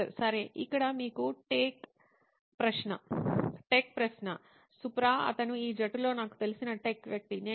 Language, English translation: Telugu, Okay, here is the tech question to you Supra, he is a tech guy I know in this team